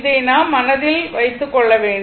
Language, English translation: Tamil, This you have to keep it in your mind, right